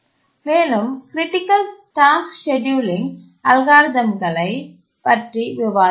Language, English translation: Tamil, And we discussed the important task scheduling algorithm